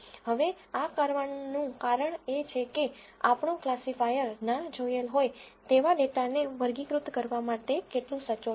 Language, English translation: Gujarati, Now, the reason to do this is to check how accurately our classifier is able to classify an unseen data